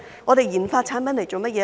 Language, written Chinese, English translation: Cantonese, 我們研發產品來做甚麼呢？, What is the purpose for us to conduct RD on such products?